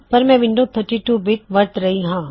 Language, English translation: Punjabi, I am using 32 bit Windows